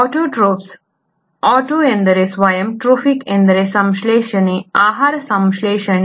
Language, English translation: Kannada, Autotrophs, “auto” means self, “Trophic” means synthesising, food synthesising